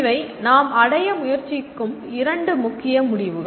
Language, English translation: Tamil, These are the two major outcomes that we are trying to attain